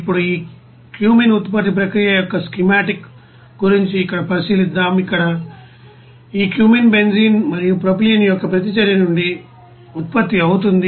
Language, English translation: Telugu, Now let us consider here on schematic of this cumene production process, see here this cumene is produced from the reaction of benzene and propylene